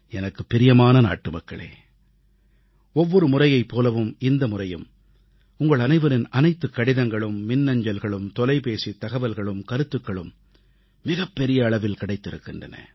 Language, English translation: Tamil, My dear countrymen, just like every time earlier, I have received a rather large number of letters, e mails, phone calls and comments from you